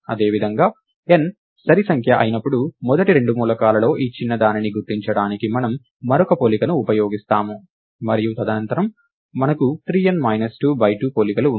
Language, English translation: Telugu, Similarly, when n is even, we use one more comparison to identify this smaller of the first two elements, and subsequently we have three times n minus 2 by 2 comparisons